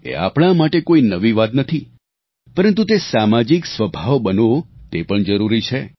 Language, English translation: Gujarati, This is nothing new for us, but it is important to convert it into a social character